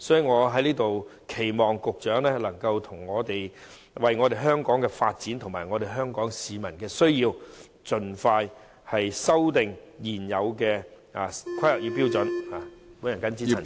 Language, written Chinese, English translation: Cantonese, 我在此期望局長能夠為香港的發展及市民的需要，盡快修訂現有的《香港規劃標準與準則》。, I hereby expect the Secretary to expeditiously amend the existing HKPSG in response to Hong Kongs development and peoples needs